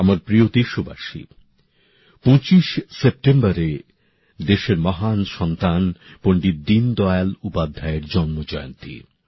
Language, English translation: Bengali, the 25th of September is the birth anniversary of a great son of the country, Pandit Deen Dayal Upadhyay ji